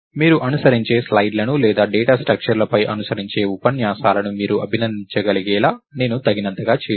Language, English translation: Telugu, I have did I have done just enough so, that you can appreciate the slides that are following or the lectures that are following on data structures